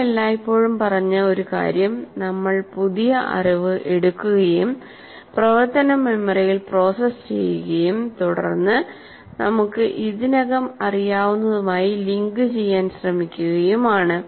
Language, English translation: Malayalam, One of the things we always said, we build our new, we take the new knowledge, process it in the working memory, and then try to link it with what we already knew